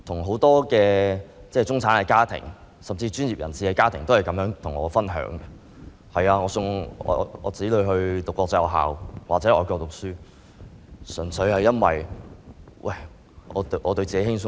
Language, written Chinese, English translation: Cantonese, 很多中產家庭或專業人士家庭的家長告訴我，送子女到國際學校或外國讀書，純粹因為想對自己輕鬆一點。, Many parents who are middle - class or professionals have told me that they send their children to international schools or foreign countries simply for making themselves relaxed